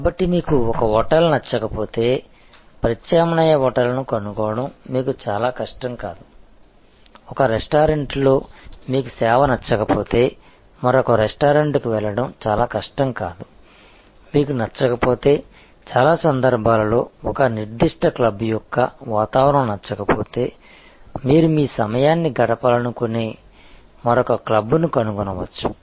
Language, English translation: Telugu, So, if you do not like one hotel it will not be very difficult for you to find an alternative hotel, if you do not like the service at one restaurant, it will not be very difficult to move to another restaurant, if you do not like the ambiance of one particular club in most cases you can find another club where you would like to spend your time